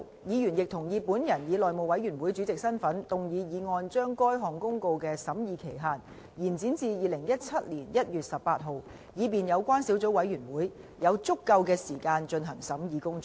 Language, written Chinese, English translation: Cantonese, 議員亦同意本人以內務委員會主席的身份動議議案，將該項公告的審議期限延展至2017年1月18日，以便有關小組委員會有足夠時間進行審議工作。, Members also agreed that I shall in my capacity as Chairman of the House Committee move a motion to extend the scrutiny period for the Notice to 18 January 2017 so as to allow sufficient time for scrutiny by the Subcommittee